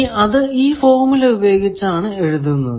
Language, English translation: Malayalam, Now, that is written by this formula